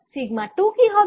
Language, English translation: Bengali, what about sigma two